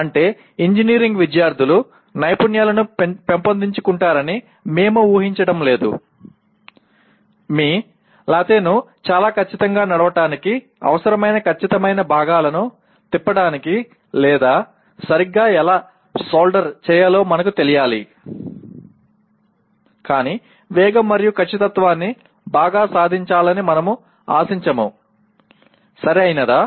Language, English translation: Telugu, That is we are not expecting the engineering students to develop skills let us say for running your lathe very precisely, turning precision components that are required nor while we should know how to solder properly but we do not expect to achieve speeds and precision that very well, right